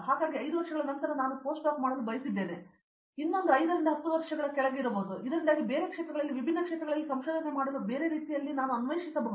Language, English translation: Kannada, So, after 5 years may be I wanted to do post doc may be another 5 to 10 years down the line, so that I can explore a different way of doing research in different field for a different applications